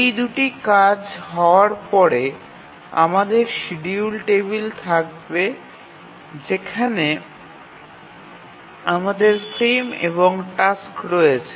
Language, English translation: Bengali, So, after doing both of these actions we will have the schedule table where we have the frames and the tasks